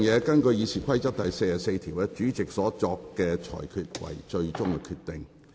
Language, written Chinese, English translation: Cantonese, 根據《議事規則》第44條，主席決定為最終決定。, In accordance with RoP 44 the Presidents decision shall be final